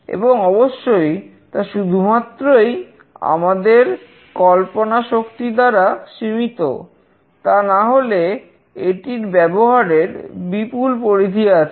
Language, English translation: Bengali, And of course, it is limited just by imagination, there is a huge set of applications